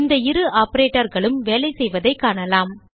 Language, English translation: Tamil, Lets see how these two operators work